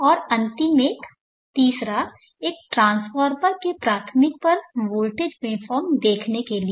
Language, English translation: Hindi, And the last one third one is to see the voltage waveform across the primary of the transformer